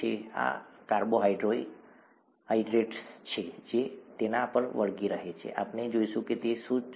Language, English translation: Gujarati, And these are carbohydrates that stick onto it, we will see what they are